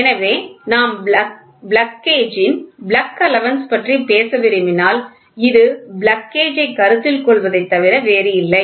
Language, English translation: Tamil, So, if we want to talk about plug allowance plug gauge, which is nothing but for consider plug gauge